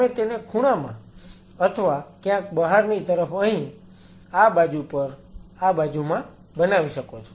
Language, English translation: Gujarati, You can make in the corner or somewhere out here on this side in this side